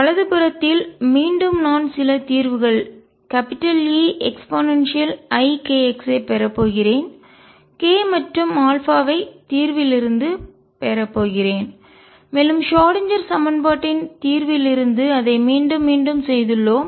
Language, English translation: Tamil, And on the right side, again I am going to have some solution E e raise to i k x k and alpha come from the solution the Schrödinger equation and we have done it again and again